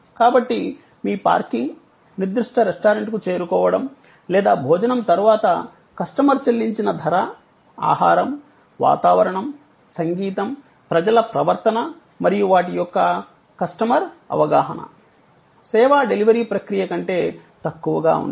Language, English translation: Telugu, So, your parking is, ease of reaching the particular restaurant or in the price that the customer has paid after the meal all that must be less than the customer perception of the food, the ambiance, the music, the behavior of people everything and the service delivery process